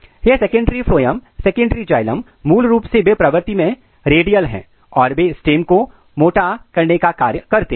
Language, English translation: Hindi, And this secondary phloem secondary xylems basically they are in radial in nature and they are responsible for thickening of the stem